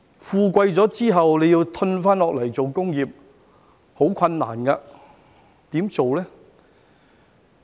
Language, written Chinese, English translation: Cantonese, 富貴後再退下來做工業其實十分困難，怎樣做呢？, It is very difficult for us to go back and engage in industry after becoming affluent how can we do so?